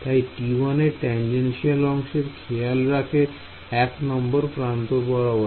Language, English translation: Bengali, So, T 1 takes care of the tangential component of edge 1 by edge 1 I mean edge 2 3 right